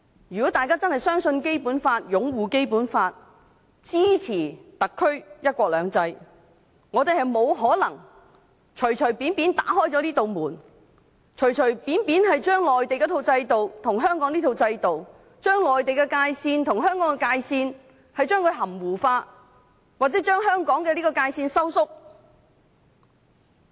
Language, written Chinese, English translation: Cantonese, 如果大家真正相信《基本法》、擁護《基本法》、支持特區"一國兩制"，我們不可能隨便打開這道門，隨便將內地那一套制度跟香港這套制度，以及將內地界線和香港界線含糊化，或將香港的界線收縮。, If we really believe in the Basic Law uphold the Basic Law and support one country two systems of the Special Administrative Region SAR it is impossible for us to arbitrarily open this gate arbitrarily mix up the Mainland system with the Hong Kong system and blur the delineation between Mainland and Hong Kong or narrow the boundary of Hong Kong